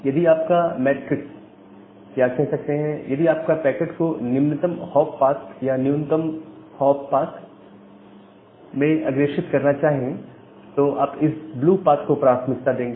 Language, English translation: Hindi, So, if your metric or if you decide to forward the packet in the lowest hop path or the minimum hop path then you will prefer this blue path